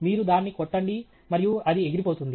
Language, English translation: Telugu, You hit it and it just flies off